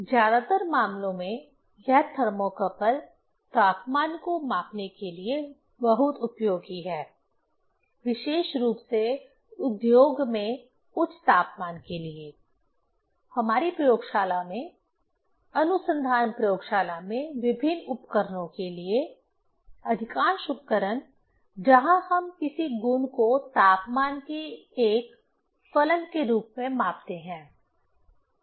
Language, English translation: Hindi, In most of the cases, this thermocouple is very useful for measuring the temperature, specially higher temperature in industry, in our laboratory, research laboratory for different instruments, most of the instruments where we measure the property as a function of temperature